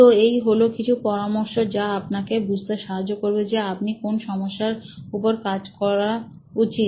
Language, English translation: Bengali, So, these are some tips that can help you in figuring out which of these problems should I work on